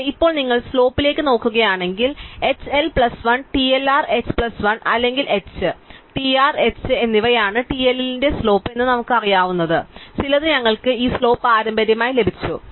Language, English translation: Malayalam, But, now if you look at the slopes, we have just inherited this slope some what we knew that the slope of TLL of h plus 1, TLR is h plus 1 or h and TR is h